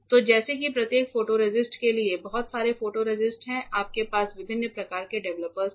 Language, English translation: Hindi, So, like that lot of photoresists are there for each of the photoresist you have different types of developers